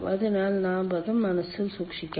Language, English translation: Malayalam, so this we have to keep it in mind